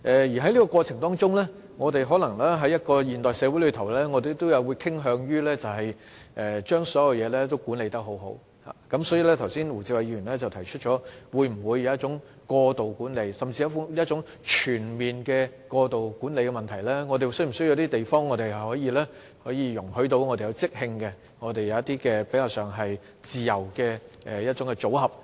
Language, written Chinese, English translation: Cantonese, 而在這過程中，我們身處的現代社會可能會傾向把所有事情管理妥當，所以胡志偉議員剛才提出，我們會否出現一種過度管理甚至是全面過度管理的問題，我們是否需要地方讓我們進行即興活動及比較自由的組合安排呢？, During the process the modern society in which we are living will tend to put all things under its proper management . But will this give rise to the problem of excessive management or even overall excessive management which Mr WU Chi - wai has pointed out just now? . Actually do we also need to leave some room for impromptu activities and relatively free performances?